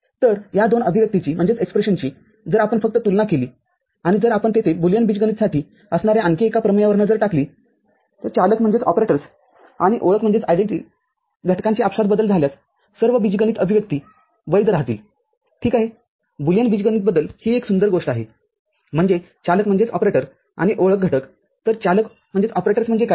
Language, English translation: Marathi, So, these two expressions if you just compare and if you look at another interesting theorem which is there for Boolean algebra all algebraic expressions remain valid if the operators and identity elements are interchanged, ok is a beautiful thing about Boolean algebra; that means, operators and identity elements so, what are the operators